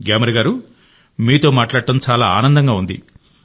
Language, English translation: Telugu, Gyamar ji, it was a pleasure talking to you